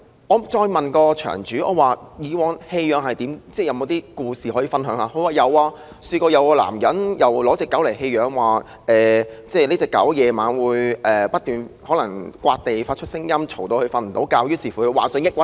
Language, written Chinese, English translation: Cantonese, 我詢問場主還有甚麼故事可以分享，他告訴我曾有一男子把狗隻送來，打算棄養，因為那狗隻在晚上不斷抓地，發出噪音，令他無法入睡，以致患上抑鬱症。, I asked the owner of the kennel if he had other stories to share and he told me that there was a case in which a man brought a dog to the kennel indicating his wish to abandon the animal . According to the man he could not sleep at night because the dog kept scratching the ground surface and making irritating noise and as a result he was diagnosed with depression disorder